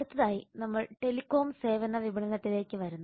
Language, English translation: Malayalam, next we come to telecom services marketing